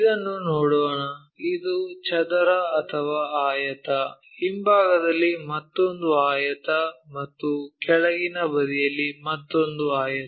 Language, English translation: Kannada, Here let us look at this, this is a square or rectangle, another rectangle on the back side and another rectangle on the bottom side